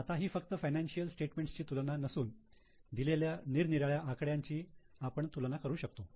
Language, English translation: Marathi, Now, this is not just comparing the financial statements, the different numbers in statement, we can also do variety of comparisons